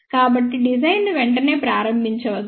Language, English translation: Telugu, So, do not start the design immediately